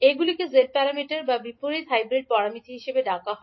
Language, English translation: Bengali, They are called as a g parameter or inverse hybrid parameters